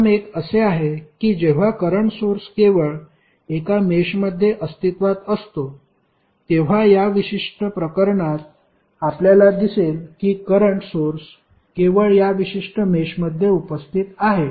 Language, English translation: Marathi, First one is that when current source exist only in one mesh, so in this particular case you will see that the current source exist only in this particular mesh